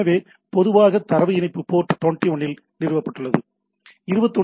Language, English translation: Tamil, So, typically the data connection is established at port 20